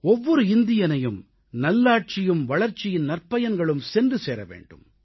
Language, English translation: Tamil, Every Indian should have access to good governance and positive results of development